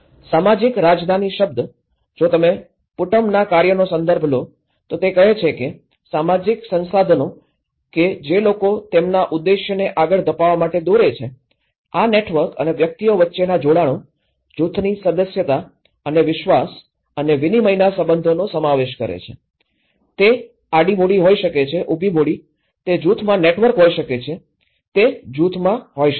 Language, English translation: Gujarati, The term social capital; if you refer to Putnam's work on, it says the social resources which people draw upon to pursue their objectives, these comprise networks and connections between individuals, membership of groups and relationships of trust and exchange, it could be a horizontal capital, it could be a vertical capital, it could be a network within a group, it could be across groups